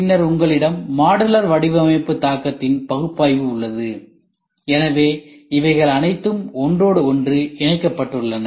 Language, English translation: Tamil, And then you have modular design impact analysis, so all these things are interconnected